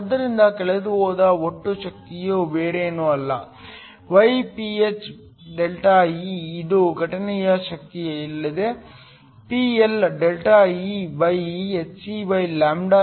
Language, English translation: Kannada, So, The total power that is lost is nothing but γPh ΔE which is nothing but the incident power PLhc/λΔE